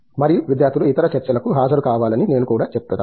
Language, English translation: Telugu, And, I would also say that the students have to attend other talks, right